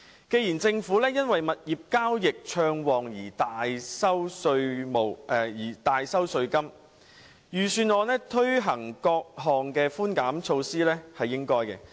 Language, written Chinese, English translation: Cantonese, 既然政府因物業交易暢旺而大收稅金，財政預算案推行各項寬減措施是應該的。, Given the Governments collection of a substantial amount of tax on the back of buoyant property sales it is only right for the Budget to introduce various concessionary measures